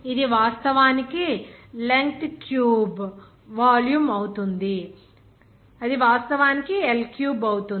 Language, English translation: Telugu, It will be actually the length cube volume of that it will be actually L cube